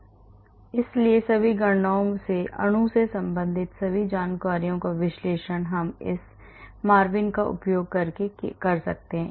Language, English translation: Hindi, So, all the calculations all the information related to the molecule can be analyzed using this MARVIN